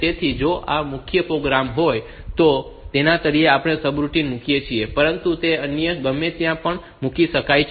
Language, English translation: Gujarati, So, if this is the main program so, at the bottom of that we put the subroutine, but it can be put anywhere